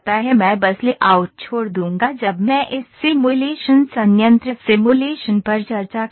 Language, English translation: Hindi, I will just leave the layouts when I will discuss this simulation plant simulation